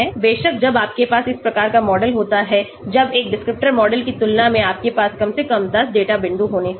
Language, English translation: Hindi, Of course, when you have this type of model when compared to one descriptor model you should have at least 10 data points